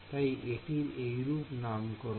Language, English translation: Bengali, So, that is why I called it a